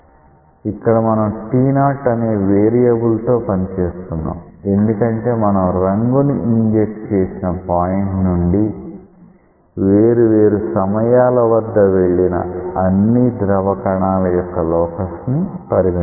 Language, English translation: Telugu, Here you are dealing with a variable t naught because you are dealing with locus of all particles which at different instants of time pass through the point of dye injection